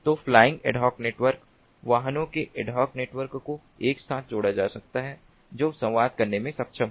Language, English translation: Hindi, so flying ad hoc networks, vehicular ad hoc networks, can be connected together to to be able to communicate